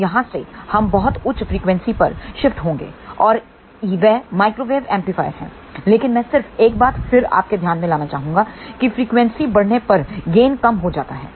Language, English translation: Hindi, Now, from here we will shift to the very high frequency and that is microwave amplifier, but I just want to bring to your attention one more time the gain decreases as the frequency increases